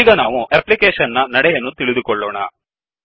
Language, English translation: Kannada, Now let us understand the flow of the application